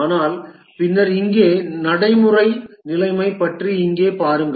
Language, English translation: Tamil, But then look at here about the practical situation here